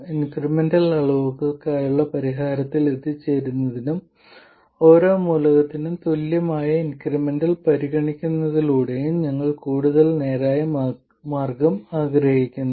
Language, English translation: Malayalam, We want an even more straightforward way of arriving at the solution for the incremental quantities and that we do by considering the incremental equivalent for every element